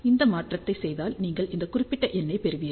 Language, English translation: Tamil, So, of you just do the conversion, you will get this particular number